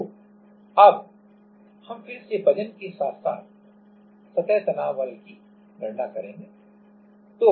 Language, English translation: Hindi, So, now, let us again calculate the weight as well as surface tension force